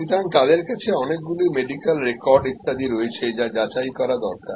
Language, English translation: Bengali, So, they will have lot of medical records etc which will need to be checked